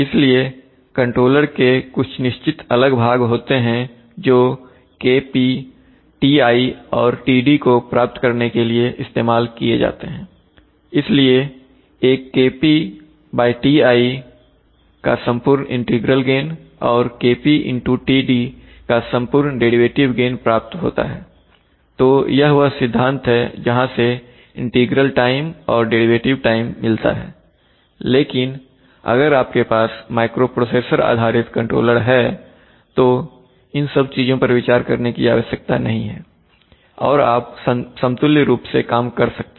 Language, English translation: Hindi, So there are certain distinct parts of the controller which use to realize these terms KP , Ti and Td, so that an average, so that an overall integral gain of KP by TI and an overall derivative gain of KP into TD is realized, so it is for from that principle that the integral time and the derivative time terms are continuing but if you have a microprocessor based controller then all these terms need not be considered and you could equivalently work with, you know, KI and KD but still let since I mean see, since the terminology still continues